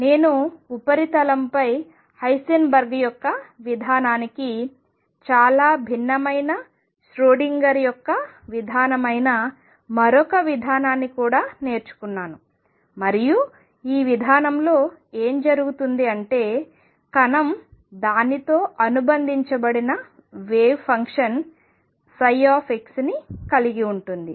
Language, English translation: Telugu, I we have also learnt another approach which is Schrodinger’s approach which is very, very different on the surface from Heisenberg’s approach, and what happens in this approach is the particle has a wave function psi x associated with it